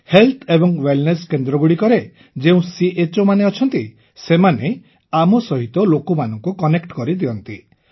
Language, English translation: Odia, The CHOs of Health & Wellness Centres get them connected with us